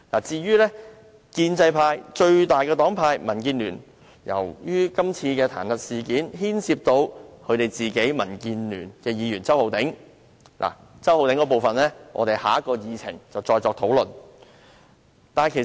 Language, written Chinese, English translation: Cantonese, 至於建制派最大黨派民建聯，今次彈劾事件亦牽涉民建聯的周浩鼎議員，有關周議員的那部分，我們留待下一項議程再作討論。, As for the largest party in the pro - establishment camp the Democratic Alliance for the Betterment and Progress of Hong Kong DAB its member Mr Holden CHOW is also involved in this impeachment incident . The part concerning Mr CHOW will be dealt with under the next item on the Agenda